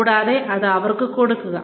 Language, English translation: Malayalam, And, give it to them